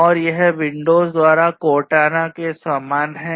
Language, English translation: Hindi, And it is very similar to the Cortana by Windows